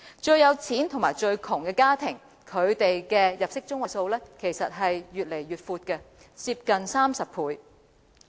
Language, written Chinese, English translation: Cantonese, 最富有與最貧窮的家庭的入息中位數差距越來越闊，接近30倍。, The discrepancy of median household income between the richest and the poorest has widened to nearly 30 times